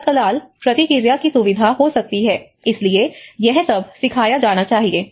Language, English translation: Hindi, The immediate response could be facilitated, so all this has to be taught